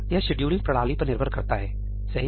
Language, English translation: Hindi, That depends on the scheduling mechanism